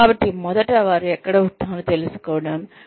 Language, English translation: Telugu, So, first knowing, where one stands